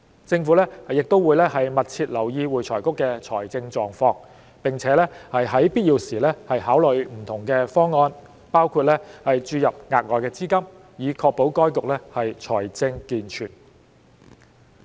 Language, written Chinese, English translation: Cantonese, 政府亦會密切留意會財局的財政狀況，並在必要時考慮不同方案，包括注入額外資金，以確保該局財政健全。, The Government will also attend to the financial position of AFRC and consider different measures as and when necessary including injection of additional funding to ensure AFRCs financial competence